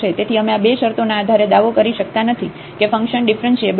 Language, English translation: Gujarati, So, we cannot claim based on these two conditions that the function is differentiable